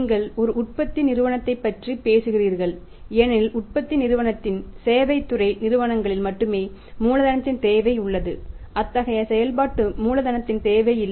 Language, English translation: Tamil, You are talking about a manufacturing company because in the manufacturing company only there is a need for working capital in the services sector organisations there is no need for the working capital as such right